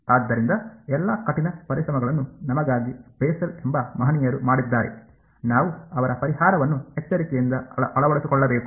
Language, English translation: Kannada, So, all the hard work was done by the gentlemen Bessel for us, we just have to carefully adopt his solution ok